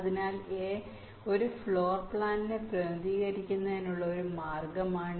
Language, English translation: Malayalam, so this is one way of representing, ok, a floorplan